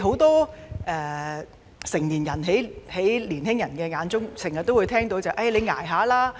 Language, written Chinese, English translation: Cantonese, 在青年人眼中，很多成年人經常說"你'捱吓啦'！, In the eyes of young people many adults always say Toughen up!